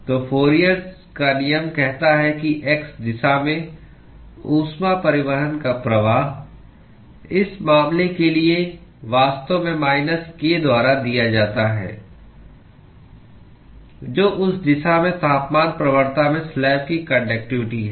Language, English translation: Hindi, So, the Fourier’s law says that the flux of heat transport in the x direction, for this case, is actually given by minus k, which is the conductivity of the slab into the temperature gradient in that direction